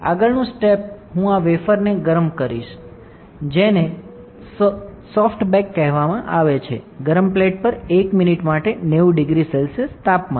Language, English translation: Gujarati, Next step is I will heat this wafer which is called soft bake at 90 degree centigrade for 1 minute on hot plate all right